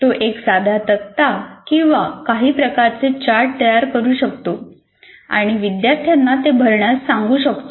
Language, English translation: Marathi, He can create a simple tables or some kind of a chart and say you start filling that up